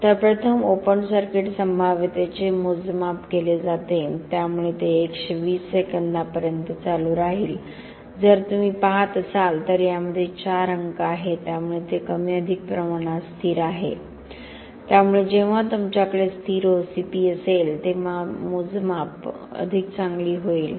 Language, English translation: Marathi, So, the first the open circuit potential is measured so it will go on for 120 seconds, if you can see there are four digits in this so it is more or less very stable so when you have a stable OCP our measurements will get better in LPR and EIS measurements